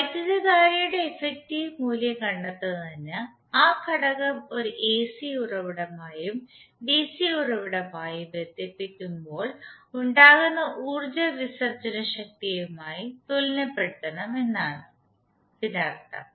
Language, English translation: Malayalam, It means that to find out the effective value of current we have to equate the power dissipated by an element when it is connected with AC source and the DC source